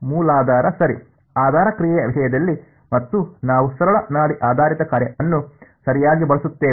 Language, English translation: Kannada, Basis right in terms of basis function and we use a simple pulse basis function right